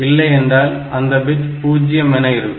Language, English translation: Tamil, Otherwise this bit will be 0